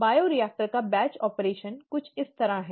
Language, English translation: Hindi, The batch operation of the bioreactor is something like this